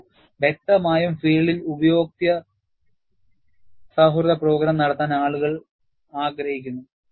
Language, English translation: Malayalam, See, obviously, in the field, people would like to have user friendly program